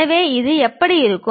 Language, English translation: Tamil, So, how it looks like